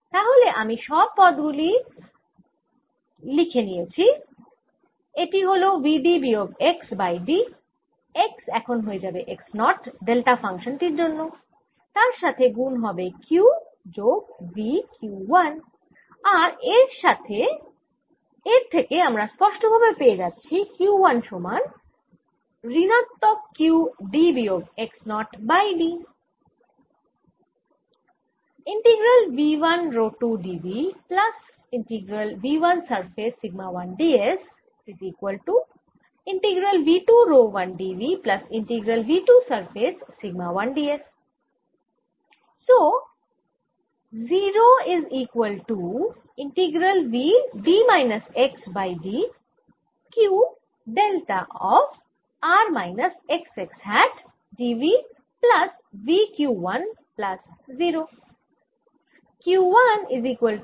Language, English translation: Bengali, this is equal to v d minus x over d x will now become a its, not because of this delta function times q plus v, q one, and this indefinitely gives you q one equals minus q d minus x, zero over d